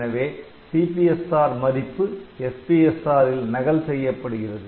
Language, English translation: Tamil, So, this CPSR value will be copied on to SPSR register